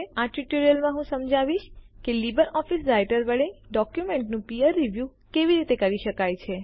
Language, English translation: Gujarati, In this tutorial I will explain how peer review of documents can be done with LibreOffice Writer